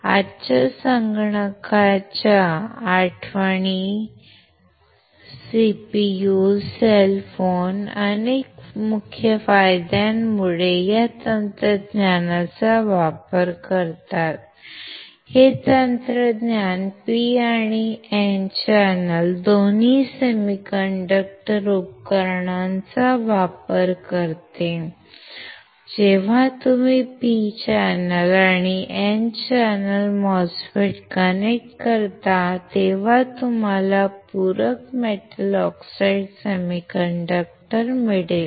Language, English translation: Marathi, Today’s computer memories CPU cell phones make use of this technology due to several key advantages; this technology makes use of both P and N channel semiconductor devices, when you connect P channel and N channel MOSFETs, you will get complementary metal oxide semiconductor